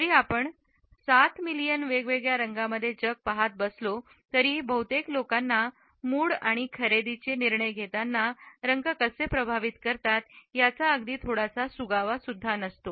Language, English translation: Marathi, Although we see the world in 7 million different colors, most people do not have the slightest clue how colors affect their mood and purchasing decisions